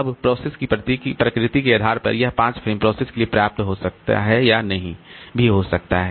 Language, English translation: Hindi, Now, depending upon the nature of the process, this 5 frames may or may not be sufficient for the process